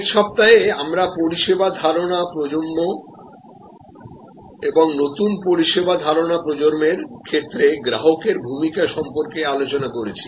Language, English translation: Bengali, To some extent we have discussed about the service concept generation and the role of the customer in new service concept generation, last week